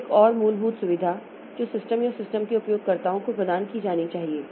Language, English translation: Hindi, So, this is another fundamental facility that must be provided to the processes or the users of the system